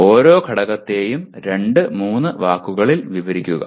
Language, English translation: Malayalam, It could be just each element can be described in two, three words